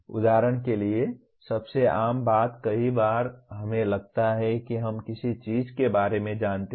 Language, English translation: Hindi, For example most common thing is many times we think we know about something